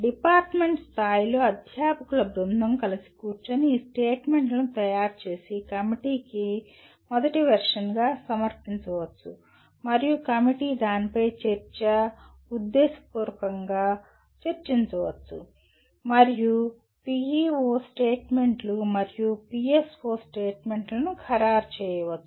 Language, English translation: Telugu, At department level, a group of faculty can sit together and prepare these statements and present it to the committee as the first version and the committee can debate/deliberate over that and finalize the PEO statements and PSO statements